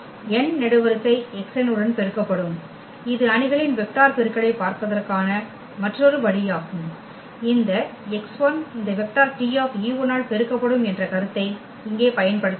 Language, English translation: Tamil, The column n will be multiplied to x n that is another way of looking at the matrix vector product and here exactly we have used that idea that this x 1 multiplied by this vector T e 1